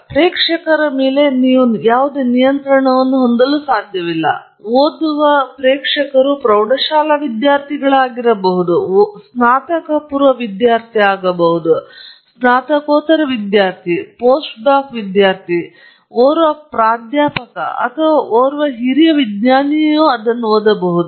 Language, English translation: Kannada, And you have no control on audience; you could have a high school student reading it, you could have a undergraduate student reading it, a postgraduate student reading it, a post doc reading it, a professor reading it or even a senior scientist reading it